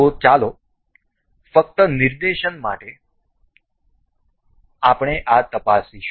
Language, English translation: Gujarati, So, let us just for just demonstration, we will just check this